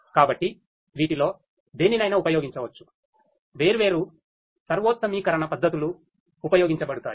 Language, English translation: Telugu, So, any of these could be used different optimization techniques could be used